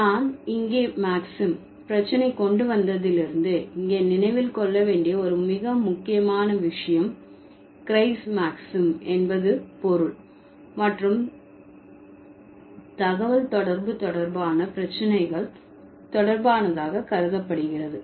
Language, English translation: Tamil, So, one very important thing to remember here when, since I brought the Maxim issue here, Grice Maxim is considered to be, which is related to meaning and communication related issues